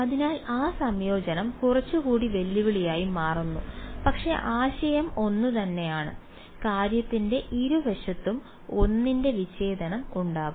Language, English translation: Malayalam, So, that integration becomes little bit more challenging ok, but the idea is the same there is going to be a discontinuity of one on both sides of the thing